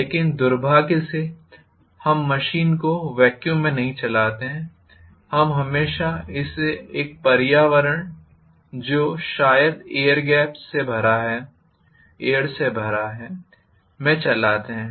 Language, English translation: Hindi, But unfortunately we do not run the machine in vacuum we always run it in an environment which is probably filled with air